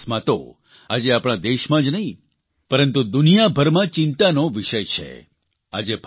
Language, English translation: Gujarati, Road accidents are a matter of concern not just in our country but also the world over